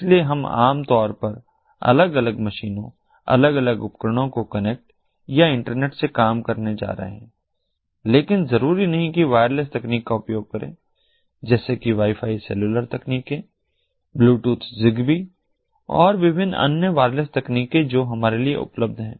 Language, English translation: Hindi, so we are going to connect, or internetwork, different machines, different tools, typically, but not necessarily, using wireless technologies, wireless technologies such as wifi, cellular technologies, bluetooth, zigbee and the different other wireless technologies that are available to us now in order to be able to do it